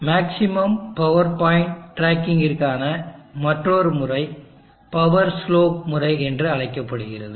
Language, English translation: Tamil, Another method for maximum power point tracking is called the power slope method